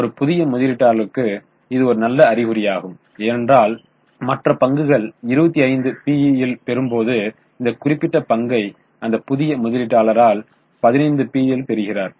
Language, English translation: Tamil, Perhaps for a new investor it is a good sign because while other shares are quoting at 25 PE we are getting this particular share at a 15 PE